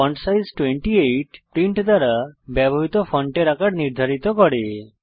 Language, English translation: Bengali, fontsize 28 sets the font size used by print